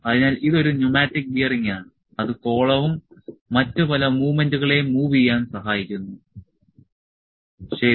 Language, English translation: Malayalam, So, this is pneumatic bearing that helps to move the columns and various other movements, ok